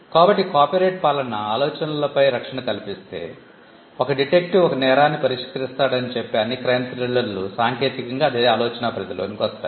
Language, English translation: Telugu, So, you could if copyright regime were to grant protection on ideas, then all crime thrillers where say a detective solves a crime would technically fall within the category of covered by the same idea